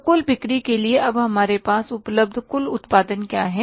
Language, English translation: Hindi, So, what is the total production available with us now for sales